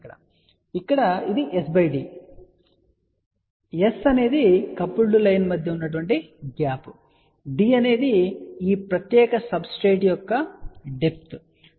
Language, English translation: Telugu, So, here what it shows here s by d , so s is the gap between the coupled line and d is taken has depth of this particular substrate